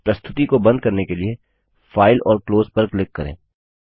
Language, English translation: Hindi, Now we will close the file.To close the presentation, click on File and Close